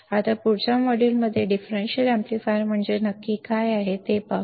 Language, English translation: Marathi, Now, let us see in the next module what exactly a differential amplifier means